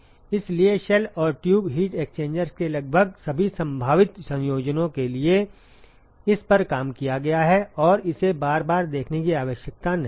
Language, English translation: Hindi, So, this has been worked out for almost all possible combinations of shell and tube heat exchangers and there is no need to go over it again and again